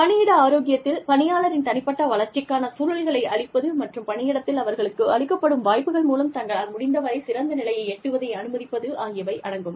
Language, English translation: Tamil, Workplace health includes, providing the conditions, for personal development, and allowing individuals, to become the best, they can be, through opportunities, provided to them, within the workplace